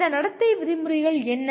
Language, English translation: Tamil, What are these behavioral terms